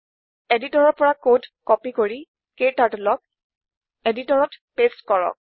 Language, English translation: Assamese, Let me copy the code from editor and paste it into KTurtles editor